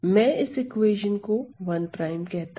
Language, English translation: Hindi, So, let me call this as 1 prime